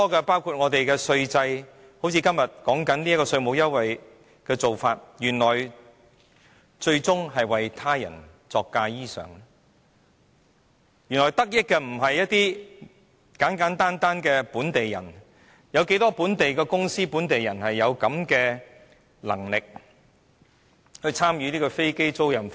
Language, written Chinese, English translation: Cantonese, 包括我們的稅制，正如今天正在辯論的稅務優惠，原來最終是為他人作嫁衣裳，原來得益的並非簡簡單單的本地人，試問又有多少本地公司和本地人有這樣的能力參與飛機租賃服務？, An example is the tax concessions under debate today which we find out will eventually benefit people other than the pure locals . How many local companies and local people are capable to participate in aircraft leasing service? . Not many of course